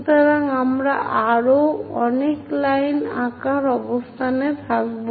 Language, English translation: Bengali, So, we will be in a position to draw many more lines